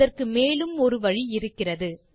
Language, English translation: Tamil, There is one more way of doing it